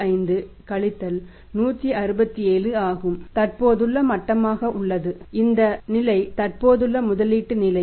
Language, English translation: Tamil, 45 167 that is existing level here this level is existing level of investment